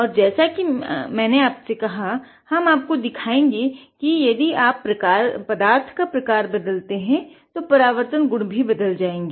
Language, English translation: Hindi, And, like I said we will also show you if you change the kind of material the reflection property would change right